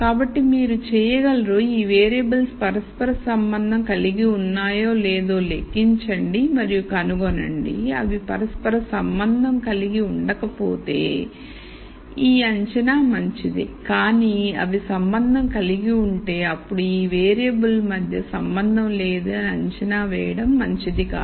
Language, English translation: Telugu, So, you could calculate and nd out whether these variables are correlated or not and if they are not correlated then this assumption is fine, but if they are correlated then this assumption that no relation exists between the variables it is not a good one to make